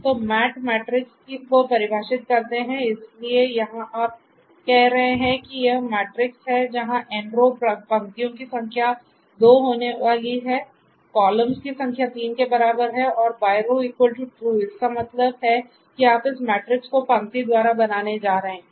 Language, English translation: Hindi, So, mat equal to matrix then you define this particular matrix so here you are saying that this is going to be the matrix where n row; that means, the number of rows is going to be 2, number of columns equal to 3 and by row true so; that means, that you are going to build this matrix by row